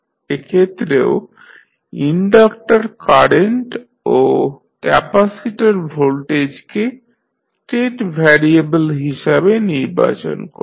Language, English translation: Bengali, In this case also we select inductor current and capacitor voltage as the state variables